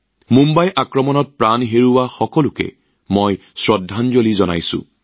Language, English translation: Assamese, I pay homage to all of them who lost their lives in the Mumbai attack